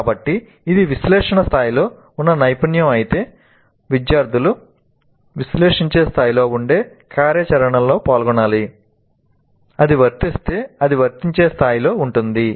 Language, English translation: Telugu, So if it is a competency that is at the level of analyzed, students must engage in an activity that is at analyzed level